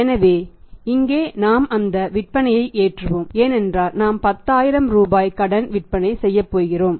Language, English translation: Tamil, So, here we are loading those sales because we are going to make the sales on credit 10000 Rupees are being made on the credit